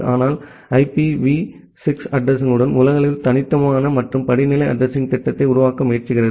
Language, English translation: Tamil, But with IPv6 address we try to build up a globally unique and hierarchical addressing scheme